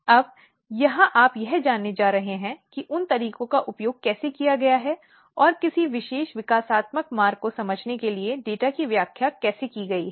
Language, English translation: Hindi, Now, here what you are going to learn that how those approaches has been used and how the data has been interpreted to understand a particular developmental pathway